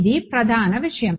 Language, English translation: Telugu, Well this is the main thing